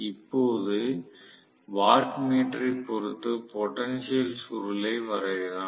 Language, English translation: Tamil, Now, as far as the watt meter is concerned let me draw the potential coil